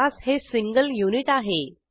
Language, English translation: Marathi, Class is a single unit